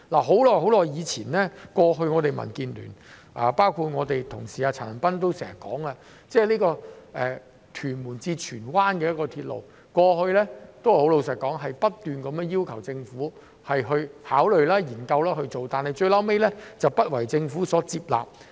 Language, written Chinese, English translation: Cantonese, 很久以前，我們民主建港協進聯盟，包括我們的同事陳恒鑌議員，也多次提出興建屯門至荃灣的鐵路，而坦白說，過去我們均不斷要求政府考慮和研究，但最後都不獲政府接納。, A long time ago we in the Democratic Alliance for the Betterment and Progress of Hong Kong DAB including our colleague Mr CHAN Han - pan have repeatedly proposed the development of a railway from Tuen Mun to Tsuen Wan . To be honest we have continuously called on the Government to consider and study it but the Government invariably refused to heed our view